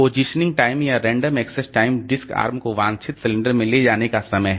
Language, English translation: Hindi, Positioning time or random access time is time to move disk come to the desired cylinder